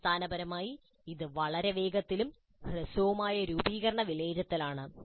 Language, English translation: Malayalam, So basically, it's a very quick and short, formative assessment